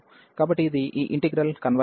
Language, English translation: Telugu, So, this is this integral converges, and m greater than 0